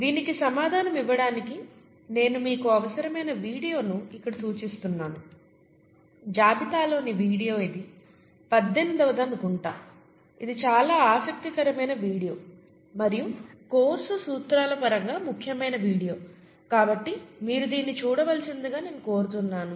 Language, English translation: Telugu, To answer this, I would point you out to required video here, I think the video in the list is number 18, it’s a very interesting video and important video in terms of the principles for the course, so I would require you to see that video